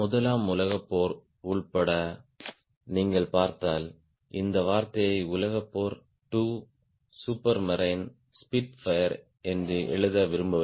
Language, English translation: Tamil, and if you see, including world war i don't want to write this term, world war two super marine spitfire